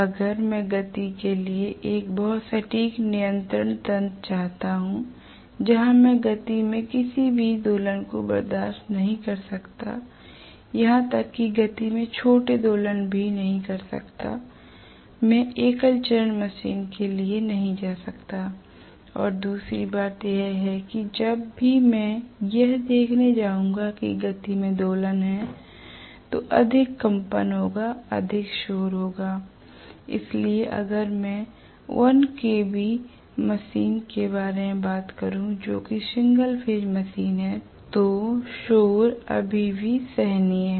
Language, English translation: Hindi, So if I want a very very precise control mechanism for the speed, where I cannot tolerate any oscillations in the speed even small oscillations in the speed I cannot go for single phase machine and another thing is whenever I am going to see there is oscillation in the speed there will be more vibrations, there will be more noise